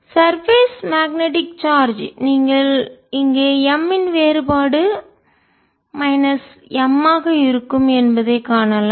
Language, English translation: Tamil, surface magnetic charge you can see out here divergence of m is going to be minus m